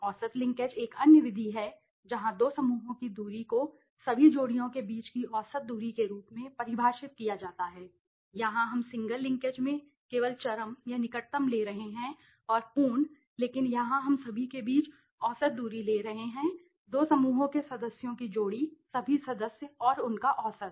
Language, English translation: Hindi, Average linkage is another method where two clusters the distance is define as the average distance between all the pairs here we are taking only the single the extreme or the closest in the single linkage and the complete but here we are taking the average distance between all the pairs of two clusters members right all the members and their average okay